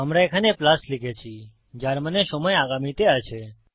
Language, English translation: Bengali, Here we said plus which meant that the time is in the future